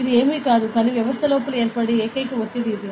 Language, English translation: Telugu, So, it is nothing, but it is the only pressure that is build up inside the system